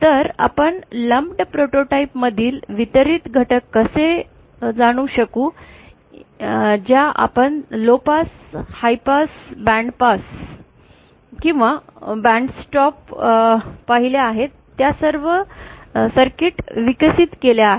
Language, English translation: Marathi, So how can we realise distributed elements from this lumped prototype that we have developed all the circuits that we saw low pass, high pass, band pass or band stop